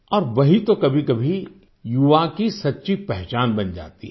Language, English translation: Hindi, Sometimes, it becomes the true identity of the youth